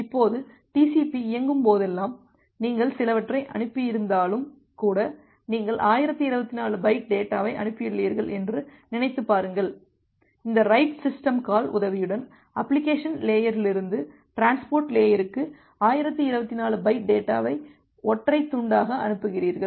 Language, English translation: Tamil, Now whenever the TCP is running, TCP say even if you have send some just think of you have sent 1024 byte data you are sending 1024 byte data as a single chunk from application layer to the transport layer with the help of this write system call